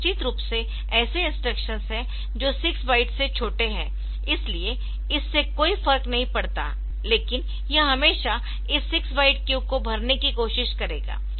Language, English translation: Hindi, Now, of course, there are instruction which are smaller than 6 bytes, so that does not matter, but this it will always try to fill up this six byte queue